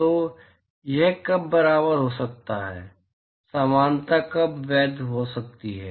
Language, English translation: Hindi, So, when can it be equal, when can the equality be valid